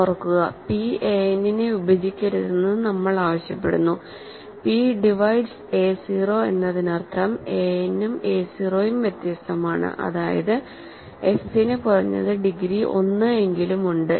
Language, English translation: Malayalam, Remember, that we are asking for p not to divide a n and p divide p divides a 0 that means, a n and a 0 are different, that means, f has at least degree 1